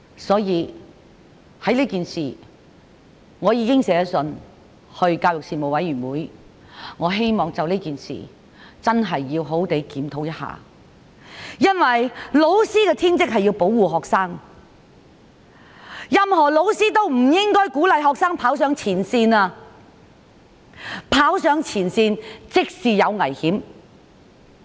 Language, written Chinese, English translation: Cantonese, 所以，我已去信教育事務委員會，希望認真檢討這件事，因為老師的天職是要保護學生，任何老師也不應鼓勵學生跑上前線，跑上前線便會有危險。, Thus I wrote to the Panel on Education to express my wish to discuss this matter . Teachers are duty - bound to protect students . No teacher should encourage students to go to the front line which is dangerous